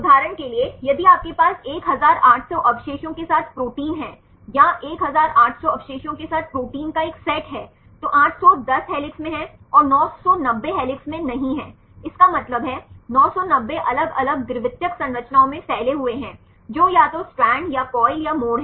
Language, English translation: Hindi, For example if you have a protein with 1800 residues or a set of protein with 1800 residues, 810 are in helix and 990 are not in helix; that means, 990 are spanning to different secondary structures either strand or coil or turn